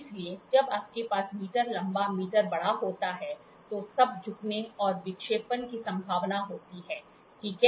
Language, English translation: Hindi, So, when you have a meter by meter long large, so, then there is a possibility of bending and deflection, ok